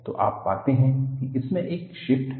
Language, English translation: Hindi, So, you find that, there is a shift in this